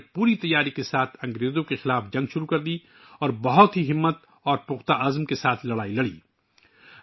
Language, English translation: Urdu, She started the war against the British with full preparation and fought with great courage and determination